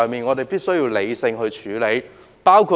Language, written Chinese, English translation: Cantonese, 我們必須理性處理這個問題。, We must deal with this issue rationally